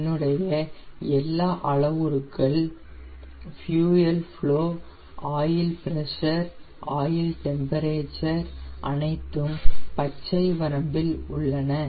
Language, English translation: Tamil, see the fuel flow, the oil pressure, oil temperature is also now in the green range